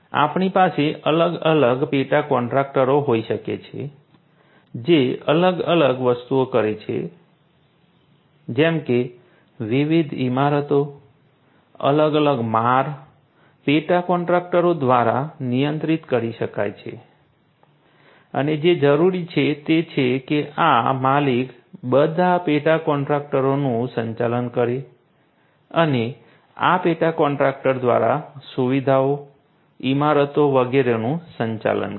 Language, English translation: Gujarati, We may have the different subcontractors performing different things like different buildings, different floors could be handled by the subcontractors and what is required is to have this owner manage all the subcontractors and through these subcontractors manage these facilities these buildings and so on